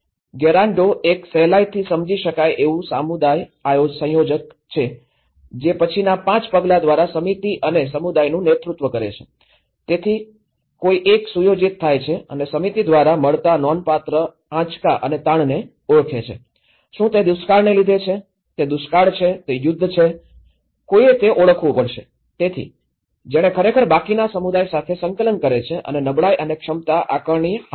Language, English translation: Gujarati, So, the Gerando facilitator usually the community coordinator, who then leads the committee and community through the next 5 steps so, one is set up and identify the significant shocks and stress that committee faces, is it due to drought, is it famine, is it war, is it that; the one has to identify that so, he is the one who actually coordinates with the rest of the community and carry out vulnerability and capacity assessment